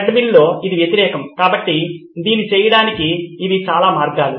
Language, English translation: Telugu, In a treadmill it is the opposite so these are several ways to do this